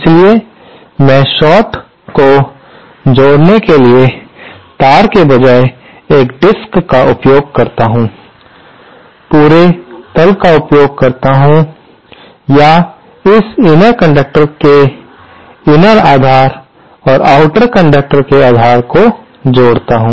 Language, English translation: Hindi, So, I kind of use a disk rather than single piece of wire connecting the short, use the entire bottom or the inner base of this inner conductor is connected to the base of the outer conductor